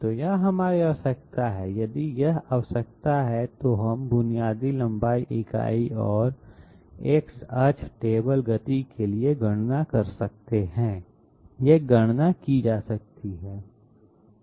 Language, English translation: Hindi, So this is our requirement, if this is the requirement we can carry out you know calculation for the basic length unit and the X axis table speed, these calculations could be carried out